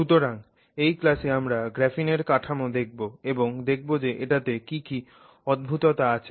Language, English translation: Bengali, So, our learning objectives for this class are to look at the structure of graphene and see what peculiarities we have there